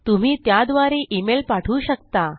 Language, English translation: Marathi, You will be able to send an email through that